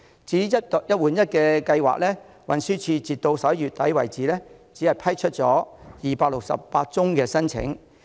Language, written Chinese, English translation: Cantonese, 至於"一換一"計劃，運輸署截至11月只批出了268宗申請。, The Transport Department only approved 268 applications under the One - for - One Replacement Scheme as at November